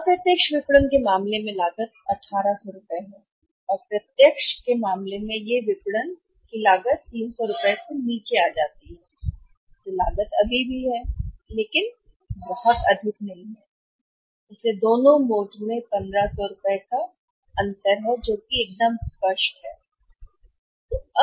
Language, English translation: Hindi, In case of the indirect marketing in case of the indirect marketing the cost is rupees 1800 right and in case of the direct marketing the cost that cost comes down to 300 rupees that cost is still there, but not very high, so there is a clear cut difference of how much rupees 1500 in both modes